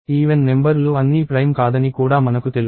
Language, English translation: Telugu, I also know that all the even numbers are not prime